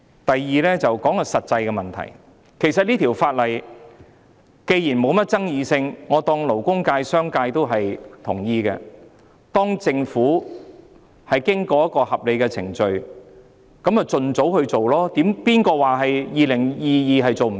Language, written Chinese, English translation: Cantonese, 我亦要談談實際的問題，這項《條例草案》既然沒甚麼爭議，我假設勞工界、商界均已贊同，當政府經過一個合理的程序後，便應盡早推出，誰說在2022年做不到？, Also I have to discuss the practical issue . As the Bill is fairly noncontroversial I assume the labour sector and business sector both agree to it so once the Government has completed the reasonable procedures it should be implemented as soon as possible . Who said it cannot be achieved in 2022?